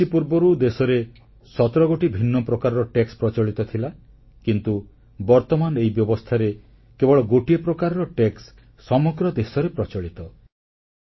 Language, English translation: Odia, Before the onset of GST scheme, there were 17 different types of taxes prevailing in the country, but now only one tax is applicable in the entire country